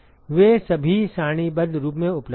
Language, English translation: Hindi, They are all available in tabular form